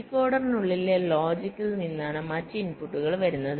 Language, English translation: Malayalam, the other input will be coming from the logic inside the decoder